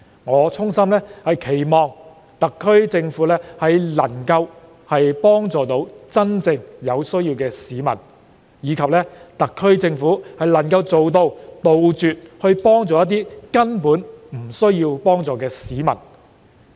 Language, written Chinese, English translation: Cantonese, 我衷心希望特區政府能夠幫助有真正需要的市民，並能杜絕幫助根本不需要幫助的市民。, I sincerely hope that the SAR Government can help people who have genuine need and stop helping those who are basically not in need of help